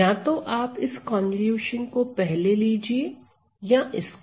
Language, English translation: Hindi, So, you can either take this convolution first or this convolution first